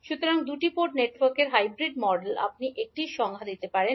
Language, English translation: Bengali, So, hybrid model of a two Port network you can define like this